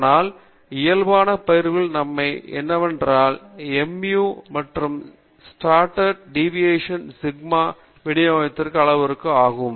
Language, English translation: Tamil, But the advantage in normal distribution is that the mu and the standard deviation sigma are themselves the parameters of the distribution